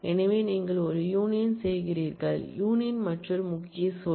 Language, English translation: Tamil, So, you do a union, union is another keyword